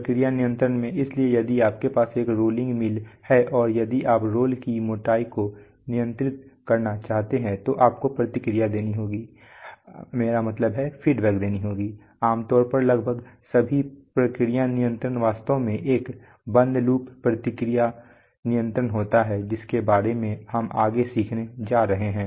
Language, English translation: Hindi, In process control, so if you have a rolling mill and if you want to control the role thickness then the, you have to feedback or almost all process control is actually you know, a closed loop feedback control about which we are going to learn in the future lessons